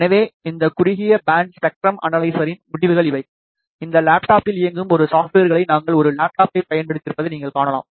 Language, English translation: Tamil, So, these are the results of this narrow band spectrum analyzer, as you can see we have used a laptop a software running on this laptop enables the display